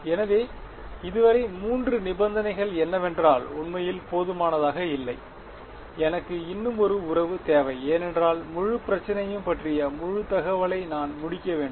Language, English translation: Tamil, So, three conditions so far right is that enough not really right I need one more relation because I to complete give full information about the whole problem